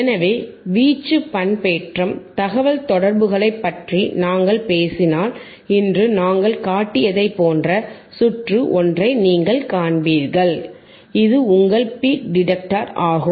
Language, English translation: Tamil, So, if we talk about amplitude modulation communications, then you will see similar circuit what we have shown today, which is your peak detector, which is are peak detector